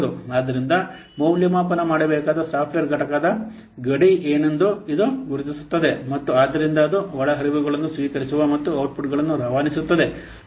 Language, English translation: Kannada, So this identifies what will the boundary of the software component that has to be assessed and thus the points at which it receives inputs and transmits outputs